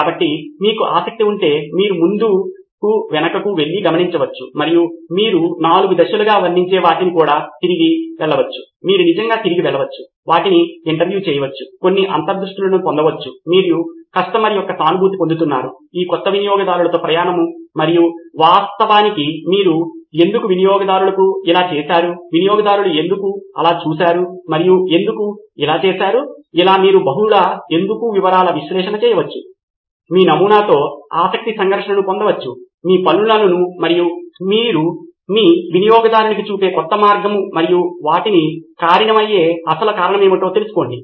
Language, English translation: Telugu, So if you are interested you can keep going back and forth and observe and you can also go back to whatever is describing as the 4 stages, you can actually go back, interview them, get some insights, you are empathizing with the customer, with this new customer journey and actually you can ask so why did the customer do with this, why did the user do this, why have they done this, you can do multi why analysis, get a conflict of interest with this your prototype, your new way of doing things and your user and find out what is actual cause which is causing them